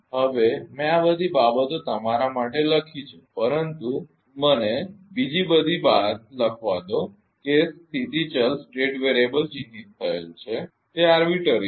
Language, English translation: Gujarati, Now, I have written everything all this things for you, but let me write down all another thing is that the state variable is marked it is arbitrary